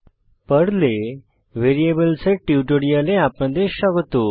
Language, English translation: Bengali, Welcome to the spoken tutorial on Variables in Perl